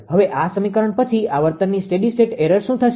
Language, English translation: Gujarati, Now in this equation then what will be the steady state error of frequency